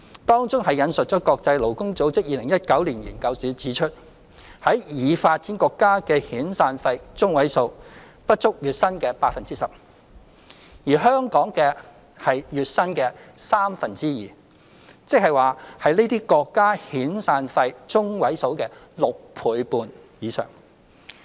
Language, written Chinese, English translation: Cantonese, 當中引述國際勞工組織2019年研究指出，在已發展國家的遣散費中位數不足月薪的 10%， 而香港則是月薪的三分之二，即是這些國家遣散費中位數的6倍半以上。, Citing a study conducted by the International Labour Organization in 2019 the Information Note pointed out that in developed countries the median severance pay is less than 10 % of the monthly salary whereas ours in Hong Kong is two thirds of the monthly salary which means more than 6.5 times of the median severance pay in these countries